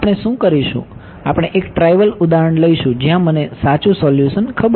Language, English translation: Gujarati, What we will do is, we will take a trivial example where I know the true solution ok